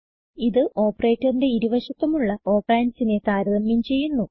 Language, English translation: Malayalam, This operator compares the two operands on either side of the operator